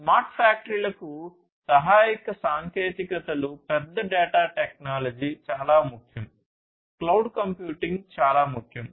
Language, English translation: Telugu, Supporting technologies for smart factories, big data technology is very important, cloud computing is very important